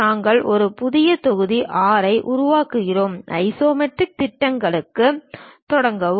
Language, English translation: Tamil, We are covering a new module 6, begin with Isometric Projections